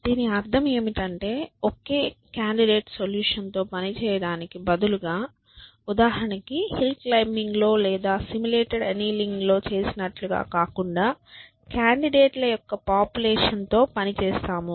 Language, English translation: Telugu, We mean that instead of working with a single candidate solution for example, as we do in hill climbing or in simulated annealing we work with a population of candidates